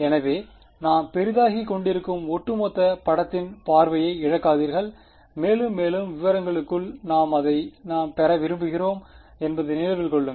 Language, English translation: Tamil, So, do not lose sight of the overall picture right we are zooming in and in more and more into details, but remember that is what we want to get at